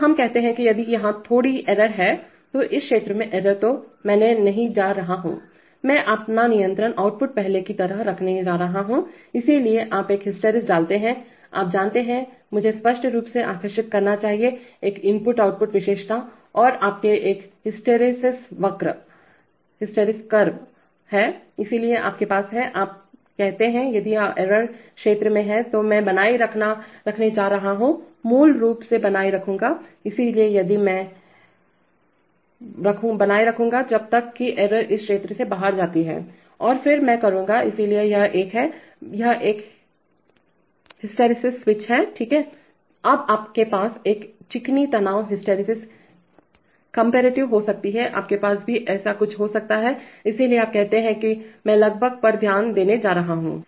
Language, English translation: Hindi, So we say that if the error is little bit here, within this zone then I am NOT going to, I am going to keep my control output as before, so you put a hysteresis, you know, let me draw it clearly so you have an input output characteristic and you have a hysteresis curve, so you have, so you say that if the error is in this zone then i am going to maintain, basically maintain, so if i am, i was here, i will maintain unless the error goes out of this zone and then i will, so this is a, this is a hysteresis switch, right, now you can have a smooth stress hysteresis comparative, you can have something like this also, so you say that I am going to keep the gain